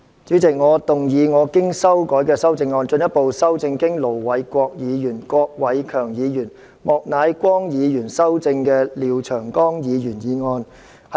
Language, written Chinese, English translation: Cantonese, 主席，我動議我經修改的修正案，進一步修正經盧偉國議員、郭偉强議員及莫乃光議員修正的廖長江議員議案。, President I move that Mr Martin LIAOs motion as amended by Ir Dr LO Wai - kwok Mr KWOK Wai - keung and Mr Charles Peter MOK be further amended by my revised amendment